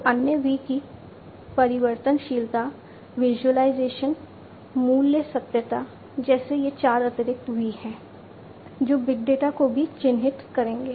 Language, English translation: Hindi, So, other v’s like variability, visualization, value, veracity, so these are 4 additional V’s that will also characterize big data